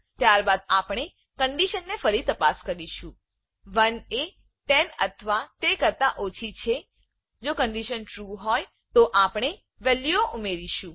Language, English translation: Gujarati, Now, here we will check whether 1 is less than or equal to 10 The condition is true again we will add the values